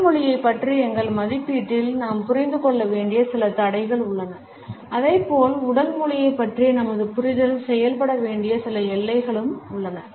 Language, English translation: Tamil, In our assessment of body language there are certain constraints which we have to understand as well as certain boundaries within which our understanding of body language should work